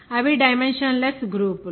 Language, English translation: Telugu, Those are dimensionless groups